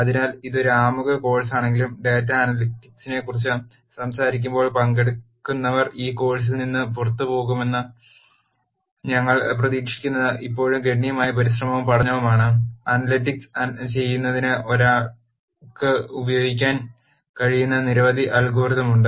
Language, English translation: Malayalam, So, while it is an introduction course it is still significant amount of effort and learning that that we expect the participants to get out of this course when we talk about data analytics, there are several algorithms that one could use for doing analytics